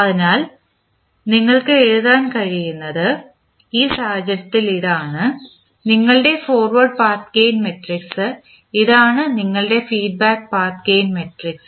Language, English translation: Malayalam, So, what we can write so in this case this is your the forward path gain matrix, this is your feedback path gain matrix